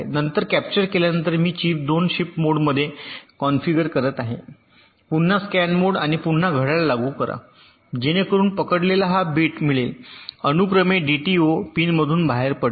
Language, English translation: Marathi, ok, then after capturing i am configuring the chip two in the shift mode again, again scan mode and again an applying clock, so that this bit which has captured will get serially shifted out through the t d o pin